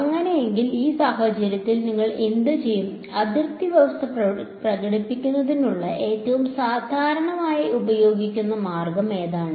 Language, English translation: Malayalam, So, in that case what will you, what is the most commonly used way of expressing boundary condition